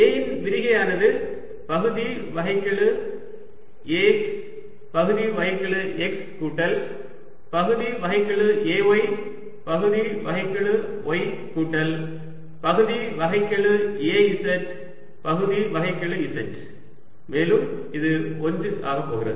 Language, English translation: Tamil, you can see that divergence of a, which is partial, a x, partial x plus partial a y, partial y plus partial a z, partial z, is going to be one